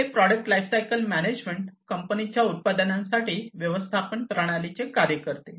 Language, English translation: Marathi, So, this product lifecycle management works as a management system for a company’s products